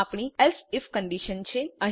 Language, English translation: Gujarati, This is our else if condition